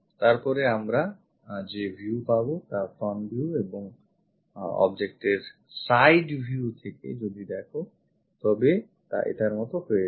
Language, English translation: Bengali, Whatever the view we will get after rotating a that one front view and look from side view of that object, then it turns out to be this one